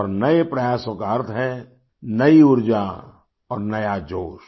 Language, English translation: Hindi, And, new efforts mean new energy and new vigor